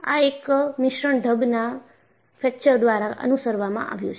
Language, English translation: Gujarati, This will be followed by Mixed mode Fracture